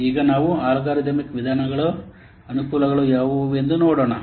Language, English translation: Kannada, Now let's see what are the advantages of algorithm methods